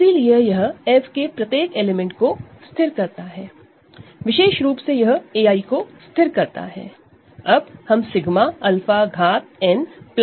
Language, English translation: Hindi, So, it fixes every element of F in particular it fixes a i